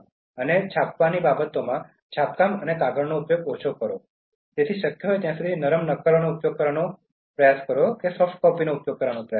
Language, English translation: Gujarati, And in terms of printing, so minimize printing and paper use, so try to use as far as possible soft copies